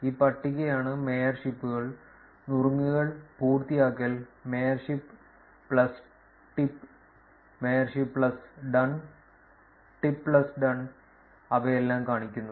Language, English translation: Malayalam, This table is this column it showing you features mayorships, tip and done, mayorship plus tip, mayorship plus done, tip plus done and all of them, right